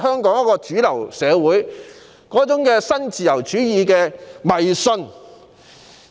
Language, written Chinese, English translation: Cantonese, 便是主流社會對新自由主義的迷思。, The myth about neo - liberalism in mainstream society